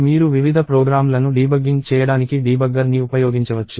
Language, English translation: Telugu, So, you can use the debugger for debugging various programs